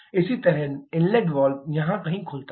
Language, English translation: Hindi, Similarly, the inlet valves opens somewhere here